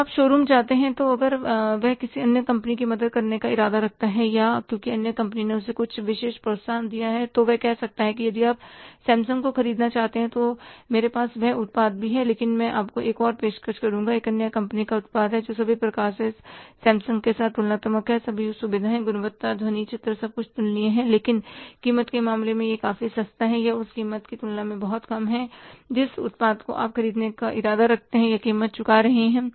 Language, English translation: Hindi, When you visit the showroom there if he is intending to help other company or because other company has given him some special incentive, so he may say that if you want to buy Samsung fine, I have that product also but I will offer you another product of another company which is comparable to the Samsung in all respects, all features, quality, sound, picture, everything is comparable but in terms of the price is quite cheap or is much less as compared to the price you are going to pay for the product which you are intending to buy